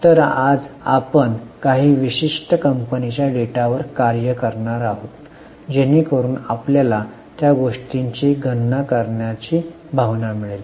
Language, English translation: Marathi, So, today we are going to actually work on certain companies data so that you get the field to calculate those things